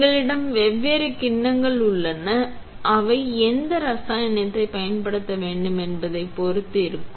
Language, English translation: Tamil, We have different bowl sets that are depending on which chemical to using